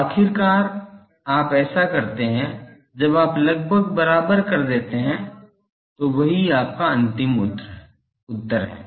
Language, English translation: Hindi, So, go on doing that finally, when you are more or less equated this that is your final answer